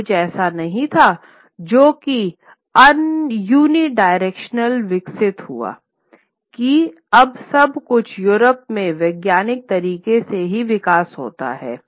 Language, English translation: Hindi, It wasn't something that developed unidirectionally that everything now henceforth in Europe develops only through the scientific methods